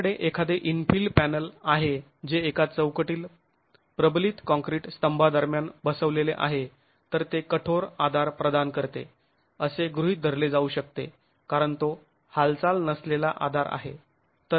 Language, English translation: Marathi, If you have an infill panel that is sitting between reinforced concrete columns within a frame, then those could be assumed to be providing rigid support because they are non moving supports